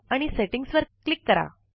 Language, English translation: Marathi, Click on the Settings option